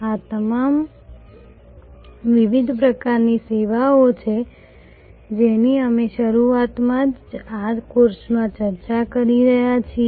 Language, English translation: Gujarati, These are all the different types of services that we have been discussing in this course right from the beginning